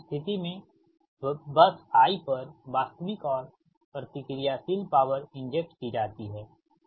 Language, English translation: Hindi, so in that case the real and reactive power injected at bus i